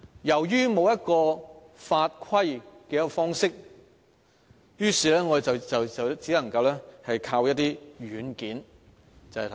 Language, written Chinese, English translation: Cantonese, 由於欠缺法規的規範，我們只能依靠一些軟件。, Due to the lack of legal regulation we can only rely on certain software